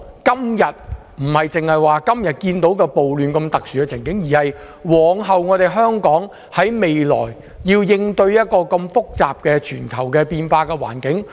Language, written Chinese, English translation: Cantonese, 我們不僅要考慮今天社會暴亂的特殊情況，更要考慮往後香港如何應對一個複雜及全球變化的環境。, We should consider not only the current special situation of social riot but also how Hong Kong should respond to the complicated and dynamic global environment in the future